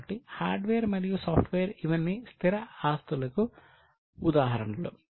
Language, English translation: Telugu, So, hardware as well as software, all these are examples of fixed assets